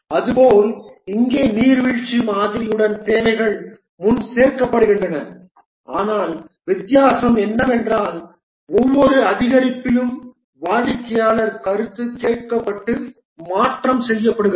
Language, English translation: Tamil, The similarity here with the waterfall model is that the requirements are collected upfront, but the difference is that each of this increment, customer feedback is taken and these change